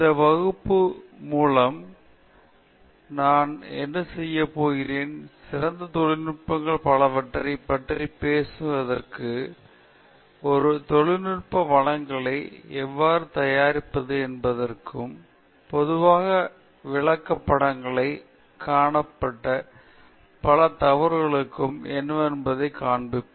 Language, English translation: Tamil, What I am going to do, through this class, is show you what are the several of the best practices, so to speak, in a how to make a technical presentation, and also, several of the mistakes that have commonly seen in presentations